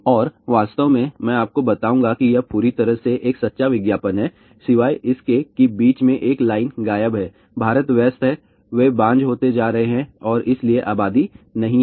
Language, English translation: Hindi, And in fact, I will tell you it is a absolutely perfectly true advertisement except that one line is missing in between, India busy busy, they become infertile and hence no apathy